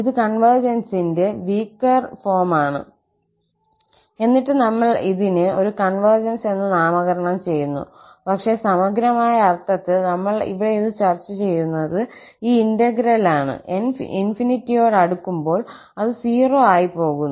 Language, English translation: Malayalam, And, exactly this is what we are calling that this is a weaker form of the convergence, still we are naming it as a convergence, but in the integral sense, because we are discussing this here that this integral, when n approaches to infinity, it goes to 0